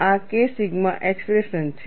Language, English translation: Gujarati, And what is K sigma